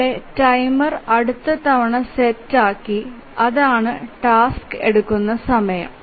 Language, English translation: Malayalam, So, here the timer is set for the next time and that is the time that the task takes